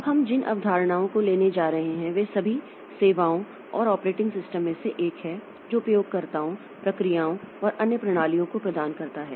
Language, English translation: Hindi, Now, the concepts that we are going to cover is first of all the services and operating system provides to users, processes and other systems